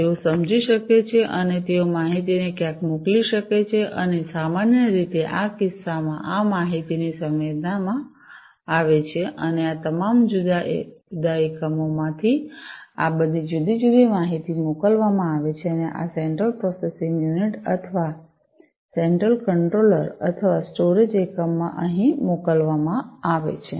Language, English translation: Gujarati, They can sense and they can send the information to somewhere, right and typically in this case this information is sense, sensed and sent all these different, information from all these different units are going to be sensed and sent to this central processing unit or central controller or the storage unit, over here